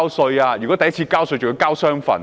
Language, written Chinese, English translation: Cantonese, 首次交稅的人更須繳交雙份稅款。, First time taxpayers are even required to make two tax payments